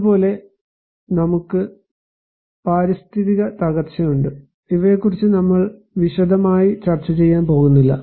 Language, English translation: Malayalam, Similarly, we have environmental degradations; we are not going to discuss in detail of these